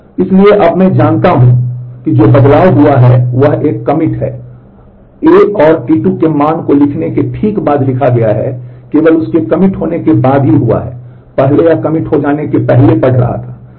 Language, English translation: Hindi, So, now I what the change that has happened is a commit is done, right after writing the value of A and T 2 reads that only after that commit has happened, earlier it was reading before that commit has happened